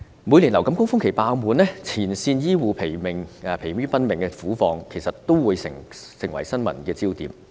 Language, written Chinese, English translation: Cantonese, 每年流感高峰期病房爆滿，前線醫護人員疲於奔命的苦況，都成為新聞焦點。, The wards are full during the annual influenza surge and frontline health care personnel are tired out . This situation has become the focus of news